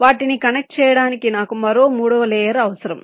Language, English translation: Telugu, right, i need another third layer to connect them